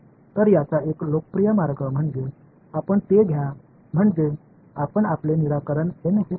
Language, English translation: Marathi, So, one popular way of doing it is that you take your so let us say your solution that you got at resolution N